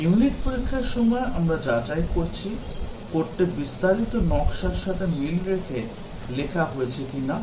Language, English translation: Bengali, We are checking, in during unit testing, whether the, the code is written in conformance with the detailed design